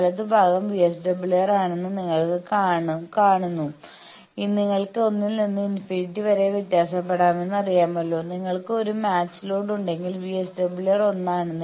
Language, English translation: Malayalam, It you see the right hand side is the VSWR, I think you know that you can vary from one to infinity, if you have a match load then VSWR is 1